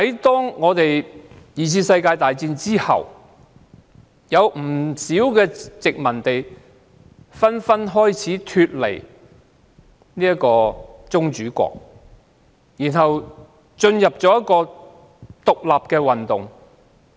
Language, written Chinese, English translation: Cantonese, 在第二次世界大戰後，不少殖民地紛紛脫離宗主國，獨立運動也出現。, After the Second World War many colonies broke away from their sovereign states and launched independent movements